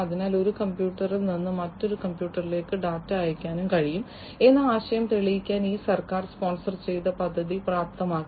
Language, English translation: Malayalam, So, this government sponsored project enabled to prove the concept that from one computer, it is possible to send data to another computer